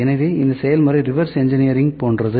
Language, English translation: Tamil, So, what happens in reverse engineering